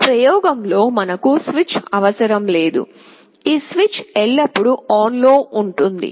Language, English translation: Telugu, Of course we will not be requiring the switch in this experiment, this switch will be always on